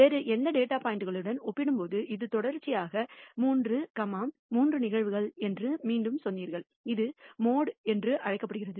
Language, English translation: Tamil, Again you said this is 3 consecutive, 3 occurrences of this as compared to any other data point and that is called the mode